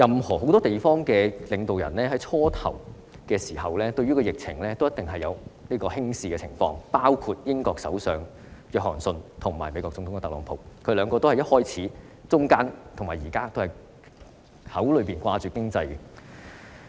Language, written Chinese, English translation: Cantonese, 很多地方的領導人在疫情最初爆發時，均一定程度上輕視疫情，包括英國首相約翰遜及美國總統特朗普，他們兩位在疫情開始爆發時以至現在總是談論經濟。, The leaders of many places have in one way or another taken the epidemic lightly when it first broke out . They include Prime Minister of the United Kingdom Boris JOHNSON and President of the United States Donald TRUMP who have all along been talking about the economy since the epidemic broke out up to the present